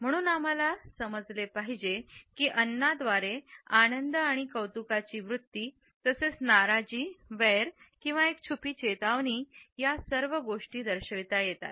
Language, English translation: Marathi, Therefore, we have to understand that food suggest an attitude of pleasure and appreciation, as well as displeasure, animosity or even a hidden warning